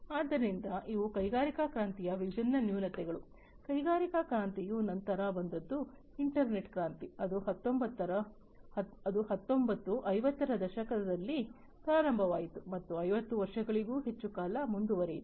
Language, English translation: Kannada, So, these are the different drawbacks of industrial revolution, the industrial revolution was followed by the internet revolution, which started around the nineteen 50s and continued for more than 50 years